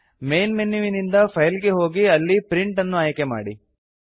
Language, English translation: Kannada, From the Main menu, go to File, and then select Print